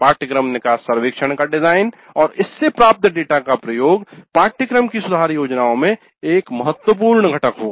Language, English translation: Hindi, And the design of the course exit survey as well as the use of data from the course grid survey would form an important component in improvement plans of the course